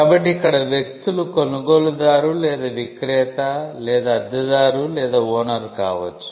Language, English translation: Telugu, So, the parties here could be, the buyer or the seller or the lessee or lesser